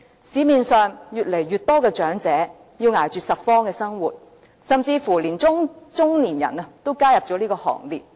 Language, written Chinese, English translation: Cantonese, 市面上越來越多長者要捱着拾荒的生活，甚至連中年人都加入這個行列。, Out there in the streets more and more elderly persons must live a difficult life of scavenging and even middle - aged people are beginning to do so